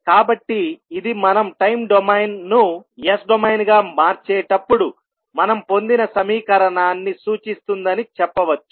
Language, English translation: Telugu, So, this you can see that will represent the equation which we just derived while we were transforming time domain into s domain